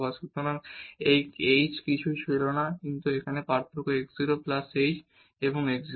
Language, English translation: Bengali, So, this h was nothing, but the difference here x 0 plus h and x 0